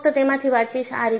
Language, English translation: Gujarati, I would just read from that